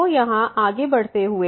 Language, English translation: Hindi, So, here moving further